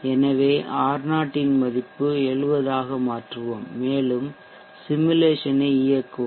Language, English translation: Tamil, So let me alter the value of R0 to 70 and let me run the simulation